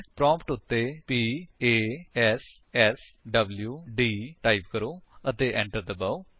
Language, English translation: Punjabi, Type at the prompt: p a s s w d and press Enter